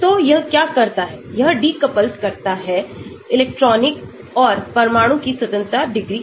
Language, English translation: Hindi, So, what it does is it decouples the electronic and nuclear degrees of freedom